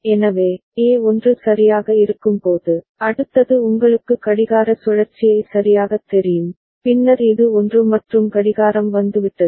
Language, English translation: Tamil, So, when A is 1 right, that means the next you know clock cycle right, then this is 1 and the clock has come